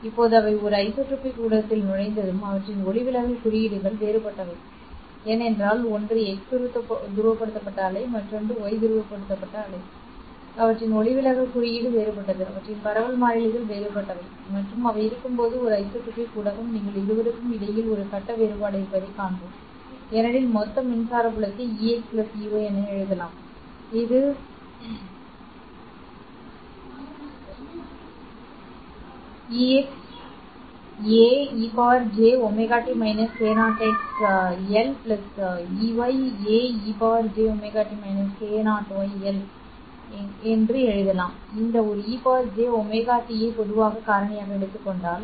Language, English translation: Tamil, Now once they have entered an anisotropic medium and their refractive indices are different because one is x polarized wave, the other one is y polarized wave, their refractive indexes are different, their propagation constants are different and when they exit the anisotropic medium you will see that there is essentially a phase difference between the two because the total electric field can be written as EX plus EY which is X hat A, E to the power J omega T minus K0 NX L plus Y hat A, E to the power J omega T minus K0 NY L